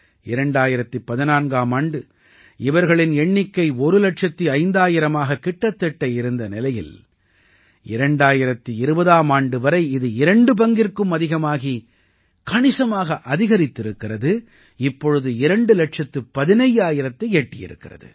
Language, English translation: Tamil, In 2014, while their number was close to 1 lakh 5 thousand, by 2020 it has increased by more than double and this number has now reached up to 2 lakh 15 thousand